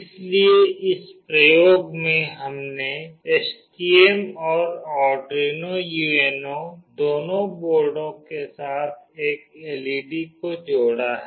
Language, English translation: Hindi, So in this experiment we have connected a single LED to both the boards that is STM and with Arduino UNO